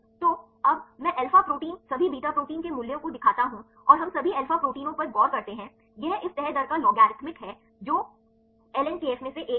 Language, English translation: Hindi, So, now, I show the values for the alpha protein all beta proteins and we look into the all alpha proteins this is the logarithmic of this folding rate the one of ln kf